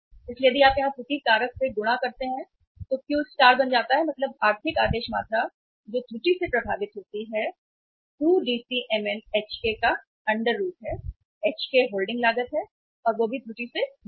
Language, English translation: Hindi, So if you multiply by the error factor here so Q star becomes means the economic order quantity which is affected by the error becomes under root of 2DCmn by Hk; Hk is the holding cost and that is also full of error